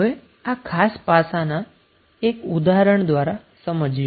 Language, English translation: Gujarati, Now let us understand this particular aspect with the help of one example